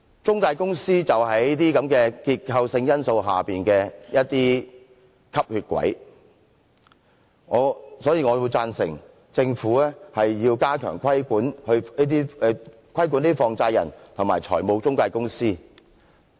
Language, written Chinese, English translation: Cantonese, 中介公司便是這些結構性因素下的"吸血鬼"，所以我贊成政府加強規管放債人和財務中介公司。, Intermediaries are the vampires born out of the structural factors . I therefore support the Government stepping up regulation of money lenders and financial intermediaries